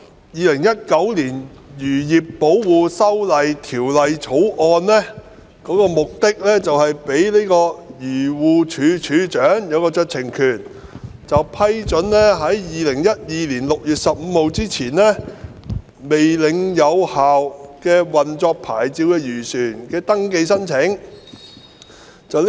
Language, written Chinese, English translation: Cantonese, 《2019年漁業保護條例草案》的目的是賦予漁農自然護理署署長酌情權，批准在2012年6月15日未領有有效運作牌照的漁船的登記申請。, The Fisheries Protection Amendment Bill 2019 the Bill seeks to confer on the Director of Agriculture Fisheries and Conservation DAFC discretionary power to approve applications for registration of fishing vessels which did not possess a valid operating licence on 15 June 2012